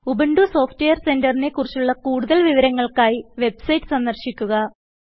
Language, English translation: Malayalam, For more information on Ubuntu Software Centre,Please visit this website